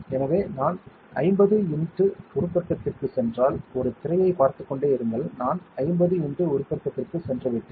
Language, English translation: Tamil, So, if I go to 50 x magnification keep looking at a screen, I have gone to 50 x magnification